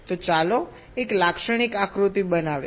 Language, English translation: Gujarati, so let us show a typical diagram